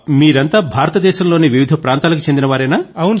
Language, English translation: Telugu, Were they from different States of India